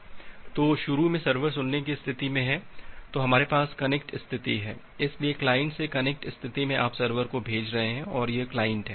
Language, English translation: Hindi, So, initially the server is in the listen state then we have the connect states, so in the connect state from the client you are sending so the server and this is the client